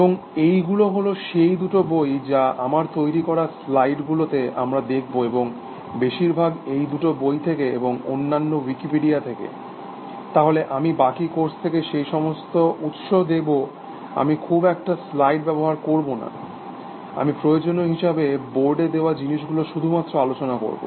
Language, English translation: Bengali, And these two books, we will follow in the slides that I have prepared, are mostly from these two books and a little bit from Wikipedia, so I will give you all those sources, from the rest of the course I will not use slides very much, I we will just discuss things on the board essentially